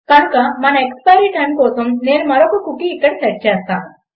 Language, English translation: Telugu, So for our expiry time Ill set another cookie in here